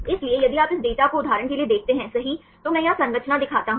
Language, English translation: Hindi, So, if you see this data right for example, I show the structure right here